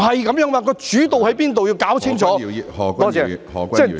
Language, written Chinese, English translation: Cantonese, 不是這樣的，要弄清楚主導在哪裏......, It is not like that at all . We have to figure out who is in charge